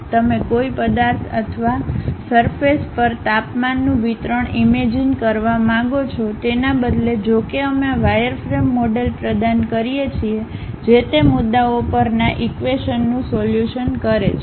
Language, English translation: Gujarati, You would like to visualize an object or perhaps the temperature distribution on the surface; instead though we supply wireframe model which solves the equations at those points